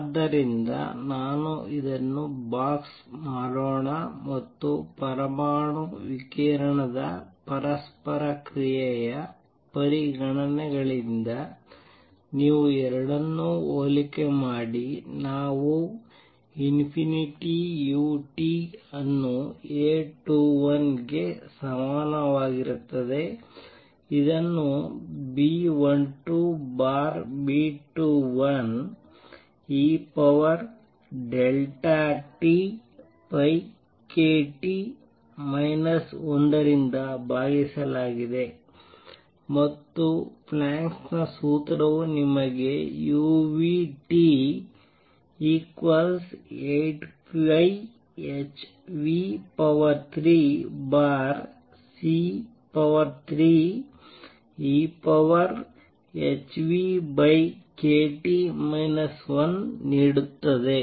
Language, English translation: Kannada, So, let me also box this and you compare the two from the considerations of atom radiation interaction we get u nu T is equal to A 21 divided by B 12 over B 2 1 E raise to delta E over k T minus 1 and Planck’s formula gives you u nu T is equal to 8 pi h nu cube over c cube 1 over E raise to h nu over k T minus 1